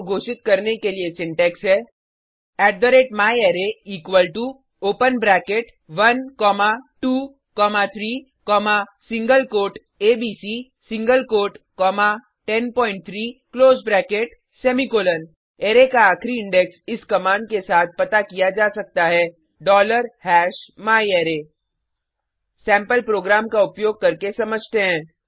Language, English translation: Hindi, The syntax for declaring an array is @myArray equal to open bracket 1 comma 2 comma 3 comma single quote abc single quote comma 10.3 close bracket semicolon The last index of an array can be found with this command $#myArray Let us understand this using sample program